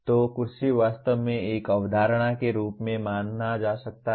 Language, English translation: Hindi, So the chair is really can be considered as a concept